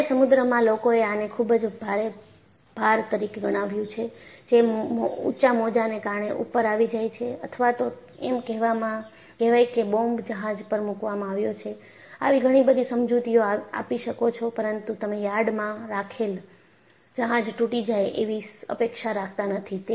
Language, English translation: Gujarati, Heavy sea, people would have ascribed this to very heavy loads, that is coming up because of high waves, and or some bomb has been dropped on to the ship; some such explanation you can give, but you do not expect a ship kept in the yard to break